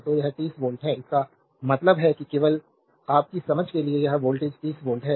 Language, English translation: Hindi, So, this is 30 volt; that means, just for your understanding only this voltage is 30 volt